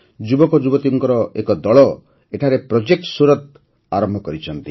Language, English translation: Odia, A team of youth has started 'Project Surat' there